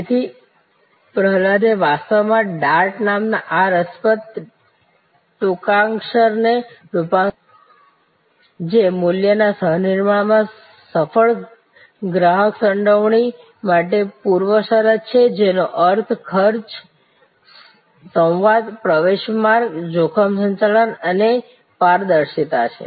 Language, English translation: Gujarati, So, Prahalad that actually configured this interesting acronym called dart, which is a prerequisite for successful customer involvement in co creation of value and to expend, it stands for dialogue, access and risk management and transparency